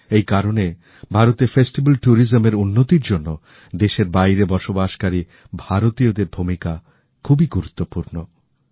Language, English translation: Bengali, Hence, the Indian Diaspora has a significant role to play in promoting festival tourism in India